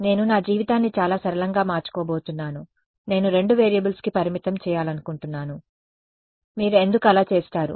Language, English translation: Telugu, I am going to make my life really simple I want to restrict myself to two variables because why would you do that